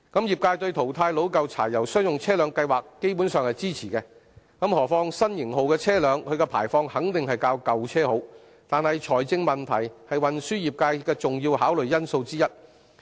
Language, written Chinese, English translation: Cantonese, 業界對淘汰老舊柴油商用車輛計劃基本上是支持的，何況新型號車輛的排放肯定較舊車好，但財政問題是運輸業界的重要考慮因素之一。, The trades are basically supportive of the scheme for phasing out aged diesel commercial vehicles not to mention that new models of vehicles definitely perform better than the old ones in terms of emission . But financial concern is one of the important considerations of the transport trades